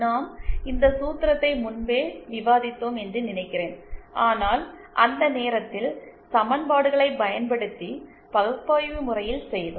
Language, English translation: Tamil, I think we had also found out, discussed this formula earlier but then at that time we had done it analytically using equations